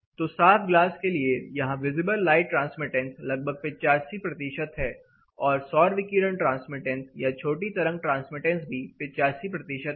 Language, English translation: Hindi, So, here for clear glass, it is around 85 percent visible light transmittance whereas, it is 85 percent solar radiation transmittance shortwave transmittance also